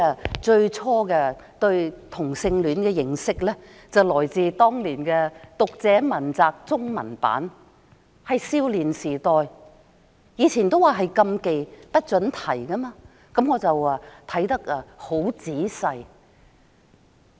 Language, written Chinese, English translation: Cantonese, 我最初對同性戀的認識，是來自我們青少年時代的《讀者文摘》中文版，當年同性戀問題是禁忌的話題，不准提及。, My knowledge about homosexuality came from the Readers Digest that we read in our adolescence . In those days homosexuality was a taboo and not allowed to be mentioned . The so - called Digest is a compilation of articles published in other magazines